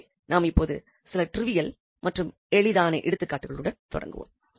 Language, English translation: Tamil, So, now we will continue with some example, which are trivial, which are simple